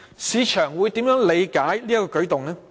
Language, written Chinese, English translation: Cantonese, 市場會如何理解這個舉動？, How would the market interpret such a move?